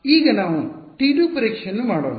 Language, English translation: Kannada, Now let us do testing with T 2 ok